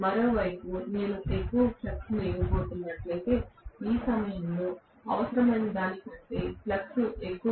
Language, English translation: Telugu, On the other hand, if I am going to give more flux, so flux is more than what is required at this juncture